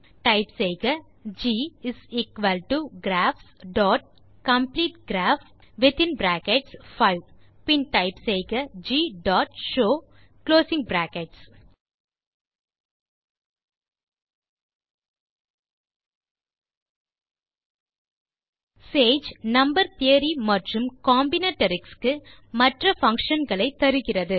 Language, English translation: Tamil, So you can type there G=graphs dot Complete Graph then type G dot show() Sage provides other functions for Number theory and Combinatorics